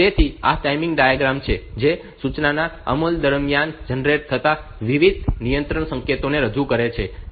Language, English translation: Gujarati, So, this timing diagram actually this is a representation of the various control signals generated during execution of an instruction